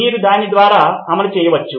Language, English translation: Telugu, You can run through it